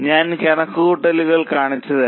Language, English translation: Malayalam, I'll show you the calculations